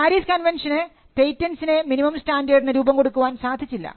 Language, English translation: Malayalam, So, the PARIS convention did not set any minimum standard for patents